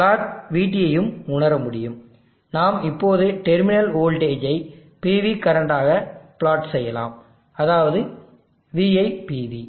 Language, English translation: Tamil, We could also sense plot VT, we will now plot terminal voltage into PV current VIPV